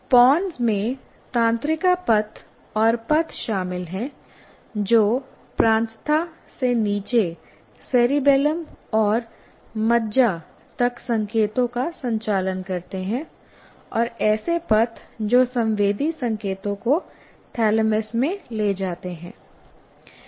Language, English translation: Hindi, And it's a kind of, it includes neural pathface and tracks that conduct signals from the cortex down to the cerebellum and medulla and tracks that carry the sensory signals up into the thalamus